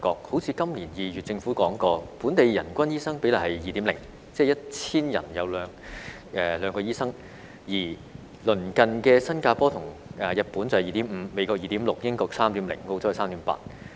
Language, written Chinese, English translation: Cantonese, 好像今年2月政府曾說過，本地人均醫生比例是 2.0， 即是 1,000 人有兩名醫生，而鄰近的新加坡和日本是 2.5， 美國是 2.6， 英國是 3.0， 澳洲是 3.8。, For instance the Government said in February this year that the per capita doctor ratio in Hong Kong was 2.0 that is there were two doctors for 1 000 people while the ratios in neighbouring Singapore and Japan were 2.5 the United States was 2.6 the United Kingdom was 3.0 and Australia was 3.8